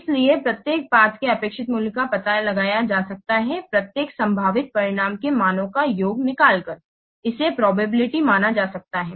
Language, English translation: Hindi, So the expected value of each path can be finding out, can be found out by taking the sum of the values of each possible outcomes multiplied by its probability